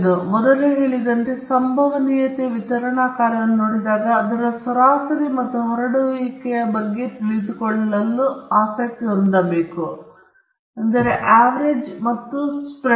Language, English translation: Kannada, And as I said earlier, whenever we look at a probability distribution function we are interested in knowing its average and also the spread